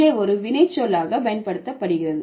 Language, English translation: Tamil, So, generally this is used as a noun